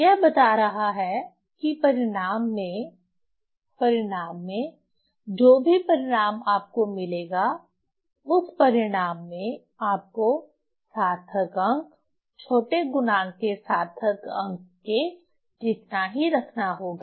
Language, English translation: Hindi, So, it's telling that in result, in result, whatever result you will get in that result you have to keep, you have to keep the significant figures as same as the significant figure of the smaller factor